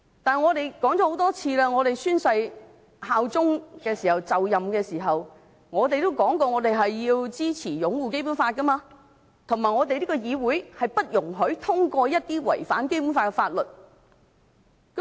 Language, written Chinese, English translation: Cantonese, 我們說過很多次，我們就任立法會議員宣誓效忠時，承諾要支持和擁護《基本法》，而這個議會不應通過一些違反《基本法》的法律。, As we said many times when we took the oath on becoming Members of the Legislative Council we pledged to support and uphold the Basic Law; and the Legislative Council should not pass a law which contravenes the Basic Law